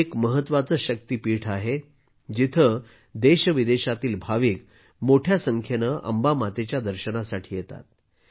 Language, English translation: Marathi, This is an important Shakti Peeth, where a large number of devotees from India and abroad arrive to have a Darshan of Ma Ambe